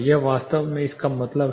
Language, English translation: Hindi, This is what actually it means